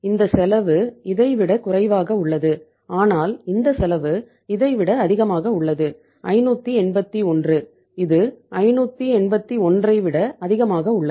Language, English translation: Tamil, This cost is less than this but this cost is more than this, 581, it is more than 581 right